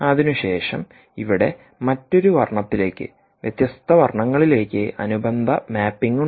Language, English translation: Malayalam, then there is a corresponding mapping here to a different colour, here, to different colours here